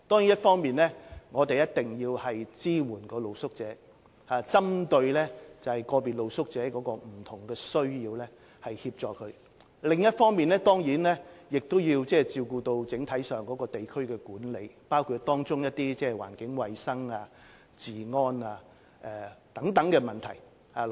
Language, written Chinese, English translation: Cantonese, 一方面，我們要支援露宿者，並針對個別露宿者不同需要提供協助；另一方面，我們要照顧整體上的地區管理，包括環境衞生、治安等問題。, On the one hand we must give street sleepers support and provide assistance to them individually according to their different needs . On the other hand we must ensure proper district management as a whole including environmental hygiene law and order